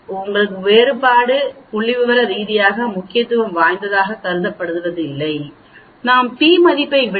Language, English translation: Tamil, So by conventional the difference is considered to be not statistically significance, because the p value is coming out to be 0